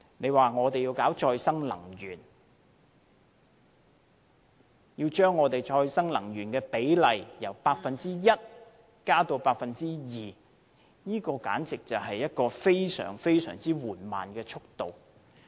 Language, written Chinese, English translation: Cantonese, 如果我們要搞再生能源，要將再生能源的比例由 1% 增至 2%， 這簡直是一個非常緩慢的速度。, If we want to develop renewable power but aim at increasing its ratio from 1 % to 2 % the pace will be too slow